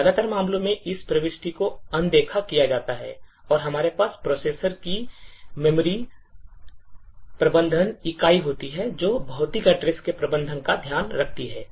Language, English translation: Hindi, In most of the cases, this particular entry is ignored and we have the memory management unit of the processor which takes care of managing the physical address